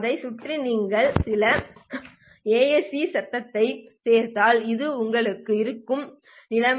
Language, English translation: Tamil, If you add some AAC noise around that, then this would be the situation that you have